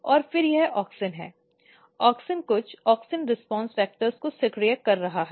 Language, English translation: Hindi, And then this is auxin; auxin is activating some of the auxin response factors